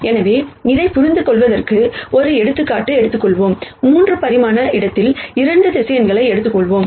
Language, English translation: Tamil, So, let us take an example to understand this, let us take 2 vectors in 3 dimensional space